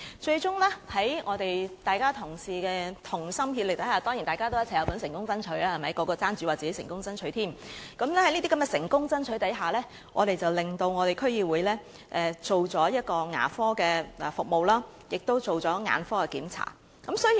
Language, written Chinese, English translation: Cantonese, 最終，在各同事同心協力下——當然大家都有份成功爭取，人人都爭着說自己成功爭取——我們促使了區議會提供牙科及眼科檢查服務。, Eventually thanks to the colleagues concerted efforts―of course all of us have played our part in successfully fighting for something . Everyone would fall over each other to claim credit for fighting for something―we brought about the provision of dental and ophthalmic check - up services by the DC